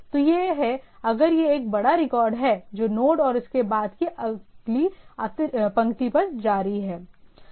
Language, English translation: Hindi, So, it has if it is a large record that continuing on the next line on node and so and so forth